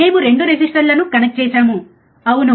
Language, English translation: Telugu, We have connected 2 resistors, right